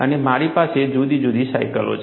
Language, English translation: Gujarati, And I have different cycles